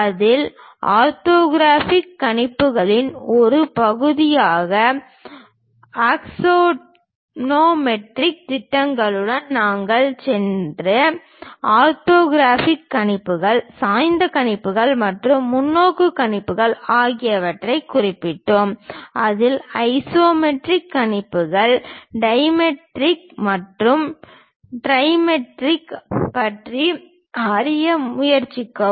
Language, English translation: Tamil, In that we noted down orthographic projections, oblique projections and perspective projections where we in detail went with axonometric projections which are part of orthographic projections; in that try to learn about isometric projections, dimetric and trimetric